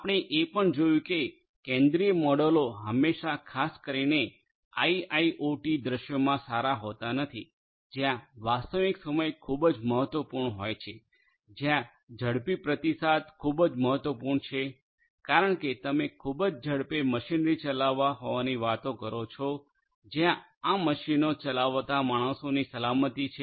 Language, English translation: Gujarati, We have also seen that centralized models are not always good particularly in IIoT scenarios where real timeness is very important where quicker response is very important, because you are talking about machinery operating at very high speed where safety of the humans operating these machines is very crucial